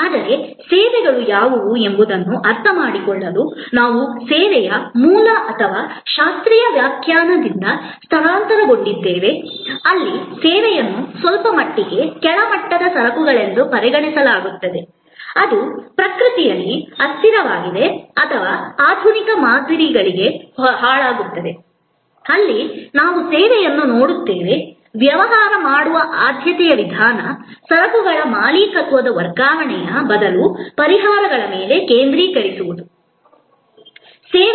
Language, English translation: Kannada, But, to understand that what are services, we shifted from the kind of original or classical definition of service, where service was considered somewhat often inferior class of goods which was transient in nature or perishable to the modern paradigm, where we look at service as a preferred way of doing business, focusing on solutions rather than transfer of ownership of goods